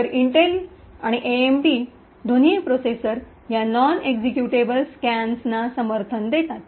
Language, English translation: Marathi, So, both Intel and AMD processors support these non executable stacks